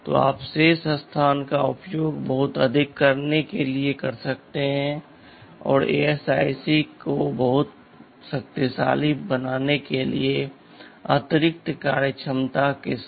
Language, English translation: Hindi, So, you can use the remaining space to put in much more; you can saywith additional functionality to make the ASIC very powerful right ok